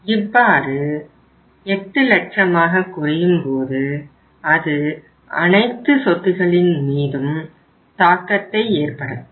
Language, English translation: Tamil, So it means when 8 lakhs will be available it will have the impact upon all the assets